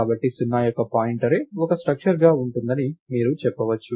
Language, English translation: Telugu, So, you can say pointArray of 0 will will be a structure